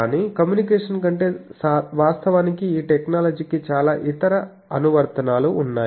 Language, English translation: Telugu, But, more than communication actually this technology has so many other applications